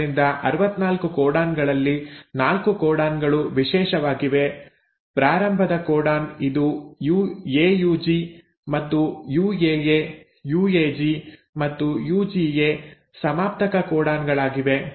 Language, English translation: Kannada, So out of the 64 codons 4 codons are special; the start codon which is AUG and the terminator codons which are UAA, UAG and UGA